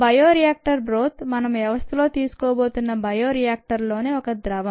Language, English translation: Telugu, the bioreactor broth, the liquid in the bioreactor, is what we are going to take as our system to do this